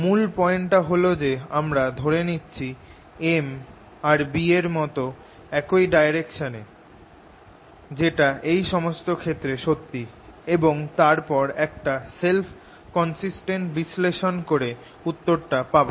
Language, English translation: Bengali, also, the main point is: i assume an m which is in the same direction as b, which happens to be the true in these cases, and then do a self consistent analysis to get the answer